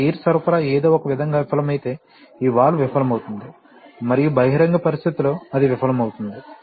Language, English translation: Telugu, So, if this air supply somehow fails then this valve will fail and it will fail in an open situation